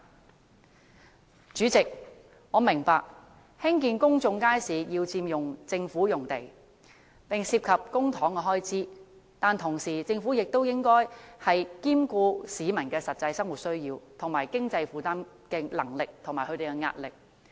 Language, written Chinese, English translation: Cantonese, 代理主席，我明白興建公眾街市要佔用政府用地，並涉及公帑開支，但政府亦應兼顧市民的實際生活需要及經濟負擔能力和壓力。, Deputy President I understand that the building of public markets involves the use of Government land and public expenditures . But the Government should also take into account the actual living necessities affordability and pressure of the public